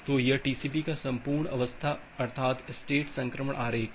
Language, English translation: Hindi, So, this is the entire state transition diagram of TCP